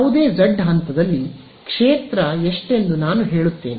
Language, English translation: Kannada, I will tell you what is the field at any point z